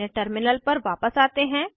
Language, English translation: Hindi, Switch back to our terminal